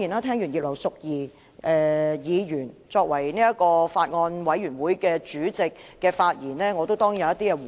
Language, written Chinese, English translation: Cantonese, 聽罷葉劉淑儀議員作為法案委員會主席的發言，我當然要作回應。, Having listened to Mrs Regina IPs speech in her capacity as Chairman of the Bills Committee I certainly have to respond